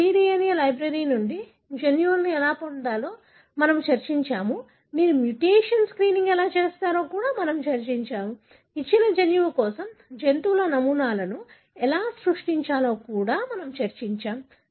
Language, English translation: Telugu, We have discussed how you get the genes from cDNA library, we discussed how you do mutation screening, we discussed how you create animal models for a given gene